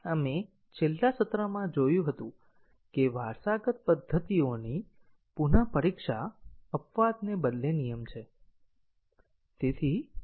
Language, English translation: Gujarati, We had seen in the last session that retesting of the inherited methods is the rule rather than exception